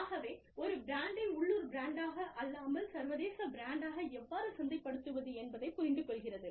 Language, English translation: Tamil, So, really understanding, how to market the brand, as a whole, as an international brand, and not as a local brand